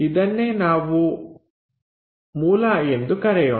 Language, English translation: Kannada, This is the origin let us call